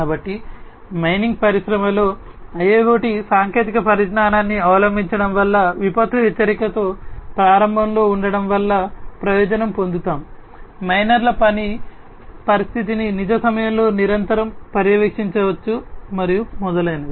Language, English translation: Telugu, So, the adoption of IIoT technologies in the mining industry we will benefit in terms of having early with disaster warning, working condition of the miners can be monitored in real time continuously, and so on